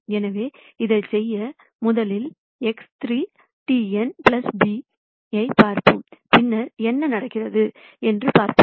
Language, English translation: Tamil, So, to do this, let us rst look at X 3 transpose n plus b and then see what happens